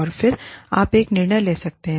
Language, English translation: Hindi, And then, you can take a decision